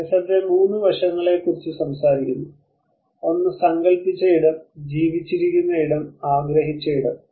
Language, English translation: Malayalam, Lefebvre talks about 3 aspects, one is conceived space, lived space, perceived space